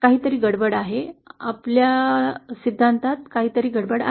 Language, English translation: Marathi, Something is wrong, is something wrong with our theory